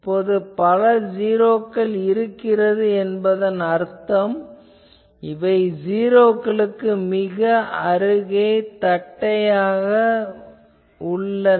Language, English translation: Tamil, Now, multiple 0 at a place means that it becomes more and more flat near the 0s